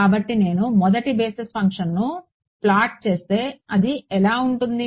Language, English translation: Telugu, So, if I plot the first basis function what does it look like